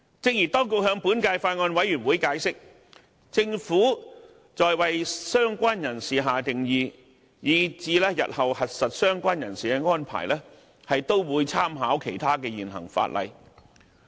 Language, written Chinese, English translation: Cantonese, 正如當局向本屆法案委員會解釋，政府在為"相關人士"下定義以至日後核實"相關人士"的安排，都會參考其他現行法例。, As the authorities have explained to the Bills Committee the Government will make reference to other existing legislation in formulating the definition of related person and in verifying the status of a related person